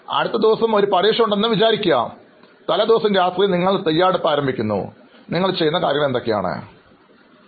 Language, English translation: Malayalam, Imagine you have an exam the next day, the previous night you are starting your preparation, what all kind of activities that you do